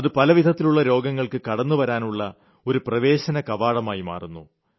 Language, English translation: Malayalam, It becomes an entrance for many other diseases